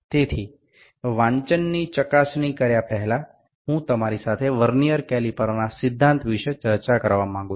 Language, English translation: Gujarati, So, before checking the reading I like to discuss the principle of Vernier caliper